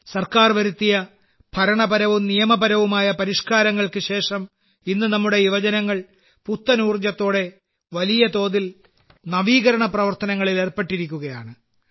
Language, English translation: Malayalam, After the administrative and legal reforms made by the government, today our youth are engaged in innovation on a large scale with renewed energy